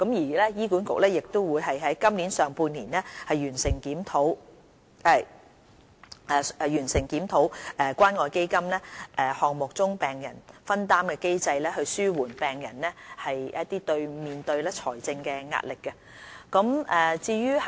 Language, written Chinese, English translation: Cantonese, 醫管局亦會於今年上半年完成檢討關愛基金項目中病人藥費的分擔機制，紓緩病人面對的財政壓力。, HA will complete in the first half of 2018 the review of the patients co - payment mechanism under the Community Care Fund Programme with a view to alleviating the financial burden on patients